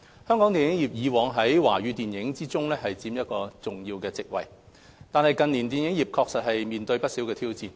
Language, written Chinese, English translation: Cantonese, 香港電影業以往在華語電影中佔一重要席位，但近年電影業確實面對不少挑戰。, Hong Kong was once a major player in Chinese films but has been faced with numerous challenges in recent years